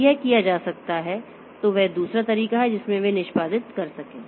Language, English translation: Hindi, So, that is the other way in which they can execute